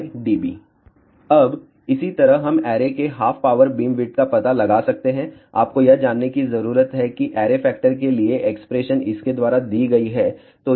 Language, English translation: Hindi, Now, similarly we can find out half power beamwidth of the array, what you need to do we know that expression for array factor is given by this